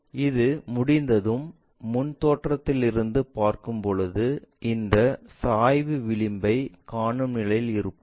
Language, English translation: Tamil, Once, done from different view we will be in a position to see this slant edge